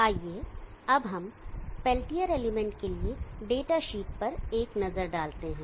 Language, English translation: Hindi, Let us now have a look at the data sheet for the peltier element